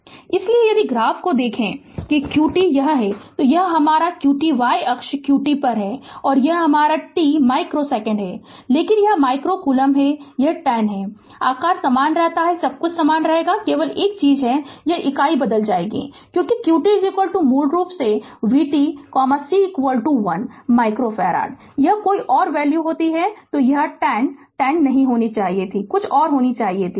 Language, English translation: Hindi, So, if you look at the graph that qt this is this is my q t y axis is q t and this is my t micro second, but this micro coulomb, it is 10 the shape remain same everything will remain same right only thing is that unit will change because q t is equal to basically v t right